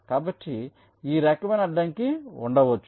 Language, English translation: Telugu, so this kind of a constraint can be there